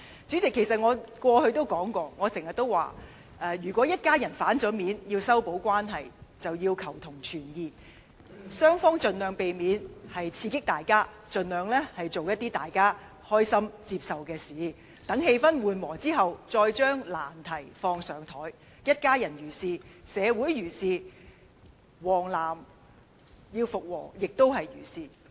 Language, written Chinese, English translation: Cantonese, 主席，我過去經常說，如果一家人翻臉後要修補關係，雙方便要求同存異，盡量避免刺激對方，盡量做一些大家開心和接受的事情，待氣氛緩和後，再將難題提出來；一家人如是，社會如是，"黃絲帶"與"藍絲帶"復和也如是。, President as I have always pointed out if family members wish to repair their relations after quarrelling all the members must first agree to differ avoid provoking each other and try to do something mutually agreeable and acceptable . After the atmosphere eases up we can then bring up the difficult subjects; this applies to issues within families in society and the reconciliation between supporters of the yellow ribbon and blue ribbon campaign